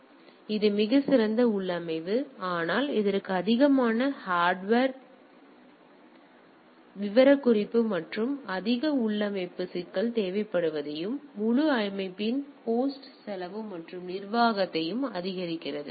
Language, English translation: Tamil, So, this is a this is a much better configuration, but as we see that it requires more hardware specification and more configuration issues and increases the host cost and management of the whole system